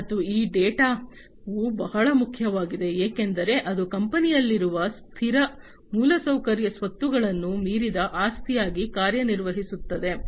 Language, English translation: Kannada, And this data it is very important, because it serves as an asset beyond the fixed infrastructure assets that are there in the company that